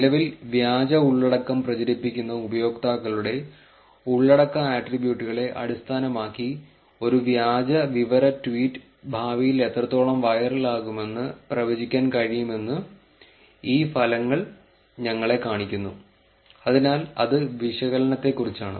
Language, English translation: Malayalam, These result show us that it is possible to predict how viral a fake information tweet would become in future based on the content attributes of the users currently propagating the fake content, so that is about the analysis